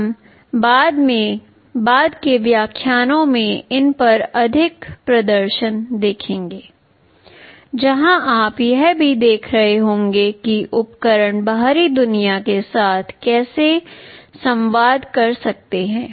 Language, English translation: Hindi, We shall be seeing more demonstrations on these in the later lectures, where you will also be looking at how the devices can communicate with the outside world